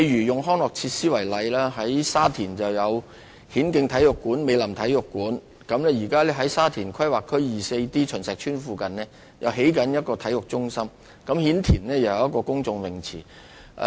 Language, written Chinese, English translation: Cantonese, 以康樂設施為例，大圍有顯徑體育館和美林體育館；在沙田第 24D 區秦石邨附近，現時正在興建體育中心；顯田也有一個公眾泳池。, Taking recreational facilities as an example the Hin Keng Sports Centre and Mei Lam Sports Centre are provided in Tai Wai; a sports centre is under construction near Chun Shek Estate in Area 24D Sha Tin; and there is also a public swimming pool in Hin Tin